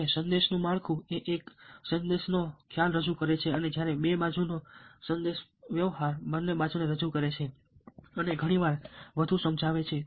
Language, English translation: Gujarati, now, message structure: the one sided message presents only one perception and two sided communication presents both the sides and very often is more persuasive